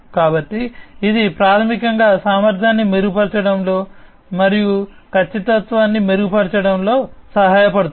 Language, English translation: Telugu, So, this basically helps in improving the efficiency and improving, improving the precision, and so on